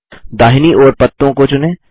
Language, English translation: Hindi, Select the leaves on the right